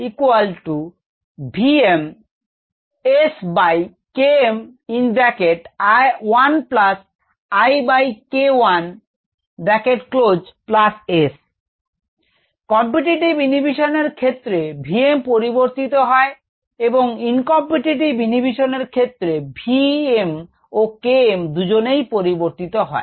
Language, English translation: Bengali, in the case of noncompetitive, v m changes but k m does not change, and in uncompetitive, both v m and k m change